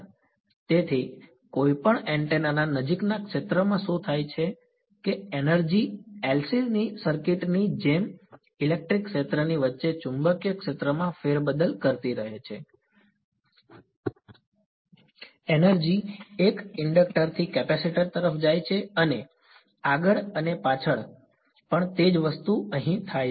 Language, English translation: Gujarati, So, what happens in the near field of any antenna is that the energy keeps shuffling between the electric field to magnetic field like in LC circuit, energy goes from an inductor to capacitor and back and forth same thing happens over here